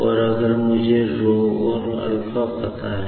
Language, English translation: Hindi, And, if I know this rho and alpha, ok